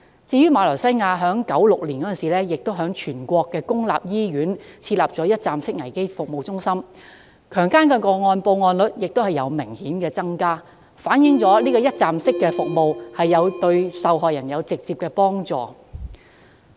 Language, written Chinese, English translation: Cantonese, 至於馬來西亞，則在1996年於全國公立醫院設立一站式危機服務中心，其後強姦個案報案率亦有明顯增加，反映一站式服務對受害人有直接幫助。, As for Malaysia after the setting up of a one - stop crisis support service centre in 1996 in all public hospitals in the whole country the reporting rate of rape cases has also increased significantly reflecting that the provision of one - stop services is a direct help to victims